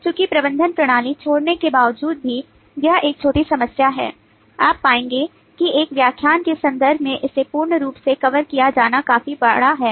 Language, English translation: Hindi, since, even though leave management system is a small problem, you will find that it is quite big to be covered in full in terms of this lecture